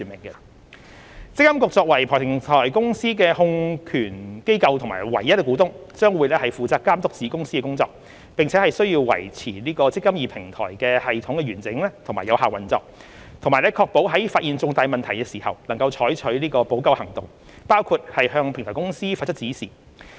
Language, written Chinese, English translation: Cantonese, 積金局作為平台公司的控權機構和唯一股東，將會負責監督子公司的工作，並須維持"積金易"平台的系統完整和有效運作，以及確保在發現重大問題時採取補救行動，包括向平台公司發出指示。, MPFA as the holding entity and sole shareholder of the Platform Company will be responsible for overseeing the Platform Company safeguarding system integrity and effective operation of the eMPF Platform and ensuring that the Platform Company will take timely remedial actions including giving direction to the Platform Company when major deficiencies are identified